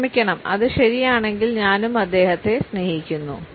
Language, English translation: Malayalam, Sorry, but if it is true I love him too